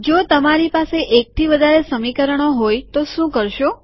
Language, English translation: Gujarati, What do you do when you have more than one equation